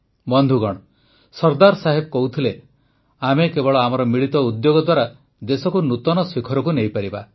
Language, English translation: Odia, Sardar Sahab used to say "We can take our country to loftier heights only through our united efforts